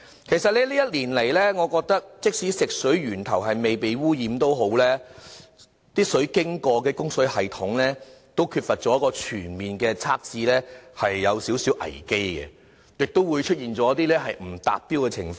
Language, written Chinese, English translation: Cantonese, 其實這一年來，即使食水源頭未被污染，但食水經過的供水系統缺乏全面測試，的確存在一點危機，亦會出現不達標的情況。, During this year despite the fact that the water source is free of contamination there is still risk of fresh water contamination because the plumbing system which fresh water passes through is not fully monitored . There have been cases of substandard facilities and works